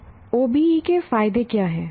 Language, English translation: Hindi, Now what are the advantages of OBE